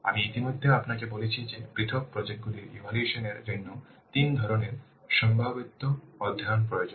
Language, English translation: Bengali, I have already told you that three kinds of feasibility studies are required to evaluate individual projects